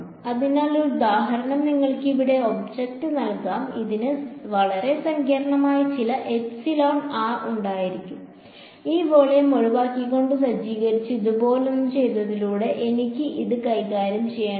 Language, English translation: Malayalam, So, one example can give you is object over here, it may have some very complicated epsilon r and I do not have to deal with it by doing something like this by setting by removing excluding this volume but